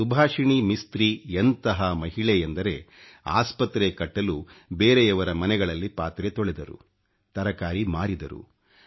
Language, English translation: Kannada, Subhasini Mistri is a woman who, in order to construct a hospital, cleaned utensils in the homes of others and also sold vegetables